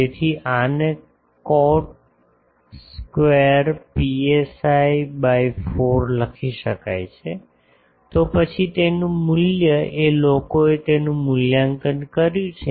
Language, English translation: Gujarati, So, this can be written as cot square psi by 4; then its value people have evaluated that